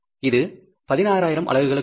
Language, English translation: Tamil, This is for the 16,000 units